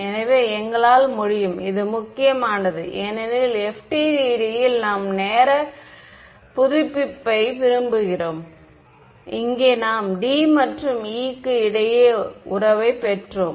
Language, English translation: Tamil, So, we are able to and this was important because in FDTD we want time update and we here we got the correct relation between D and E right